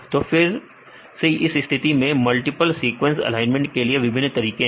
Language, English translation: Hindi, So, again this case there are various ways to get the multiple sequence alignment right